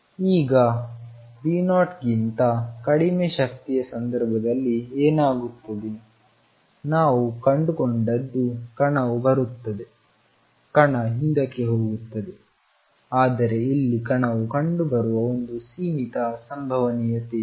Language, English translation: Kannada, than V 0 is what we found is particle comes in particle goes back, but there is a finite probability of the particle being found here